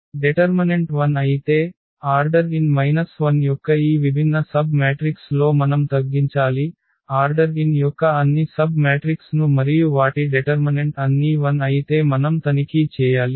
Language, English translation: Telugu, If the determinant is 0 then we have to reduce to this different submatrices of order n minus 1 we have to check all the submatrices of order n and their determinant if they all are 0 then we have to reduce to n minus 2, so on